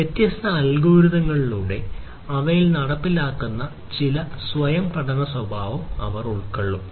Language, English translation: Malayalam, So, they will have some kind of a self learning behavior incorporated implemented in them through different algorithms and so, on